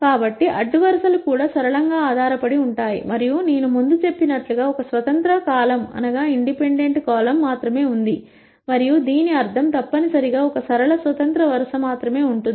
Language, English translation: Telugu, So, the rows are also linearly dependent and, and as I said before, there is only one independent column and that necessarily means that there will be only one linearly independent row